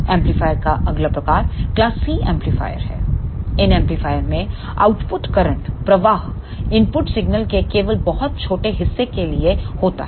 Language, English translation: Hindi, The next type of amplifier is class C amplifier, in this amplifier output current flows for only very small portion of the input signal